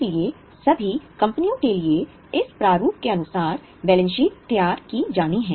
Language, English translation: Hindi, So, for all the companies, the balance sheet is to be prepared as per this format